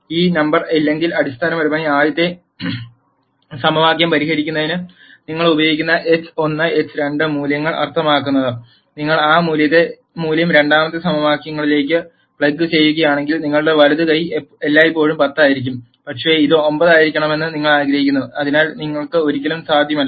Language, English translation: Malayalam, If this number is not there that basically means whatever x 1 and x 2 values that you use for solving the first equation, If you plug that value into the second equation, your right hand side will always be 10, but you want it to be 9; so which is never possible